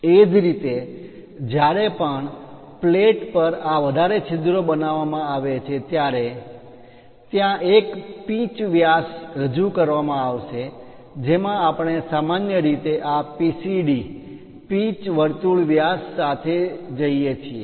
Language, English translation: Gujarati, Similarly, whenever these multiple holes are made on a plate, there will be a pitch diameter represented in that case we usually go with this PCD pitch circle diameters